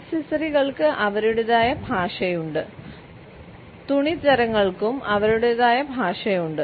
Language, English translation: Malayalam, Accessories have their own language; fabrics also have their own language